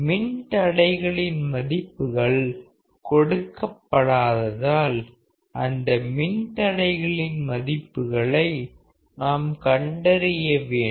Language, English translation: Tamil, Find the values of resistors; as we have not been given the values of resistor